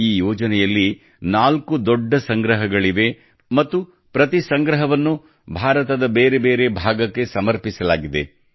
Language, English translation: Kannada, There are four big volumes in this project and each volume is dedicated to a different part of India